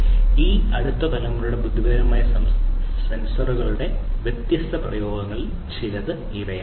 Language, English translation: Malayalam, These are some of these different applications of these next generation intelligent sensors